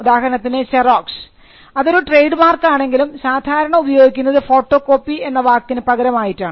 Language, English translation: Malayalam, For instance, Xerox though it is a trademark is commonly used to understand photocopies